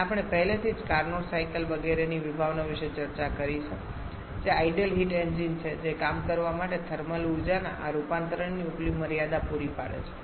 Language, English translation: Gujarati, And we have already discussed about the concept of Carnot cycles etcetera which are ideal heat engines providing the upper limit of this conversion of thermal energy to work